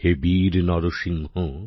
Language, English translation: Bengali, O brave Narasimha